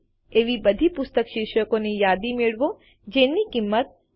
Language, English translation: Gujarati, Get a list of all book titles which are priced more than Rs 150 3